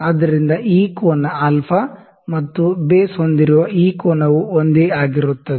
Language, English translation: Kannada, So, this angle alpha and this angle with the base this is same